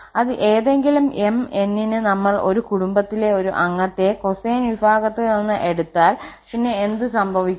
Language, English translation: Malayalam, That for any m, n if we take 1 member from sine family other member from the cosine family then what will happen